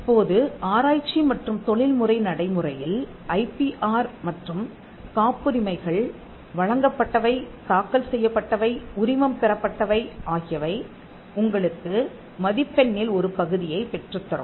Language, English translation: Tamil, Now, in research and professional practice you will find that IPR and patents: granted, filed and license, fetches you a component of mark